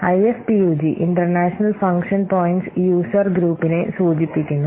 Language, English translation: Malayalam, So, IF POG, it stands for International Function Points Users Group